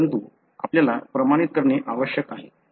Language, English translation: Marathi, So, but you need to validate